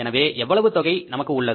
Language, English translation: Tamil, So, how much is total now